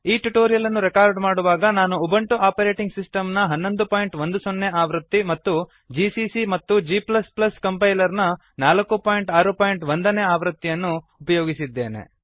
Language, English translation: Kannada, To record this tutorial, I am using Ubuntu Operating System version 11.04 gcc and g++ Compiler version 4.6.1 on Ubuntu